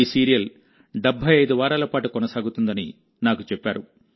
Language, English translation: Telugu, And I was told that is going to continue for 75 weeks